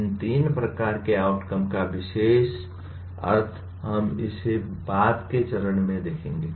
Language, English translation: Hindi, The particular meaning of these three types of outcomes, we will look at it at a later stage